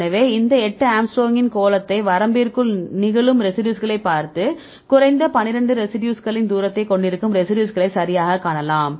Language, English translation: Tamil, So, here we give the sphere of a eight angstrom look at the residues which are occurring within the limit and see the residues right which are having the distance of at least 12 residues